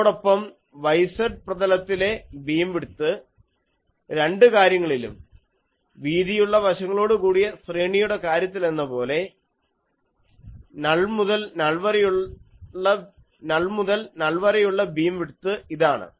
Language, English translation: Malayalam, And beam width in the yz plane is so, in both the cases, you can see that as the case for broad side array, the beam width is this is the null to null beam width